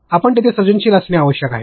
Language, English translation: Marathi, You have to be creative there